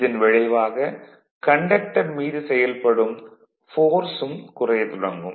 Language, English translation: Tamil, Consequently the force acting on the conductor will also decrease right